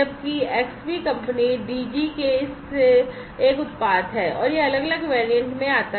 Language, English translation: Hindi, Whereas, Xbee is a product from this from this from the company Digi, and it comes in different variants